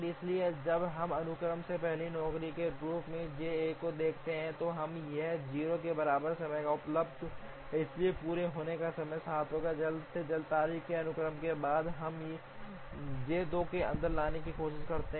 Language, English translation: Hindi, So, when we look at J 1 as the first job in the sequence, now it is available at time equal to 0, therefore the completion time will be 7, following the earliest due dates sequence we try to get J 2 inside